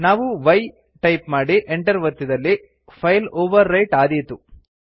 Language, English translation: Kannada, If we press y and then press enter, the file would be actually overwritten